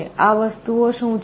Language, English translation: Gujarati, What are these things